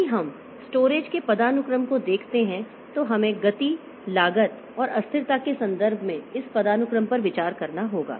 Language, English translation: Hindi, If you look into the hierarchy of storage so we have to consider this hierarchy in terms of speed cost and volatility